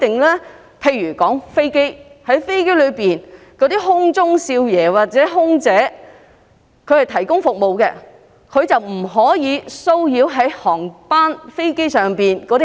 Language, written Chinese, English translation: Cantonese, 我以飛機的情況為例。空中少爺或空中小姐在飛機上是服務提供者，他們不可騷擾飛機上的乘客。, Being the service providers on aircraft flight attendants male or female are prohibited from harassing their passengers